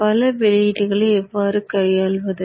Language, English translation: Tamil, How do we handle multiple outputs